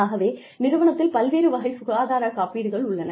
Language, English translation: Tamil, We have various types of health insurance